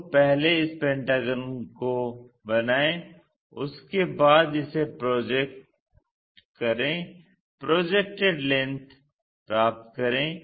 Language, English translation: Hindi, So, first construct this pentagon, after that project it get the projected length